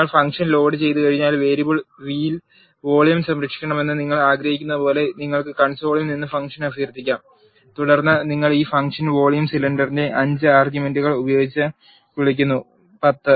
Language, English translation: Malayalam, Once you load the function, you can invoke the function from the console as follows you want the volume to be saved in the variable v and then you are calling this function vol cylinder with the arguments 5 and 10